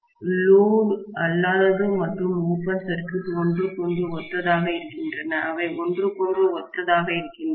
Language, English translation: Tamil, No load and open circuit are synonymous with each other, they are synonymous with each other, okay